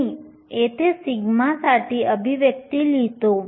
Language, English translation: Marathi, I will leave the expression for the sigma up here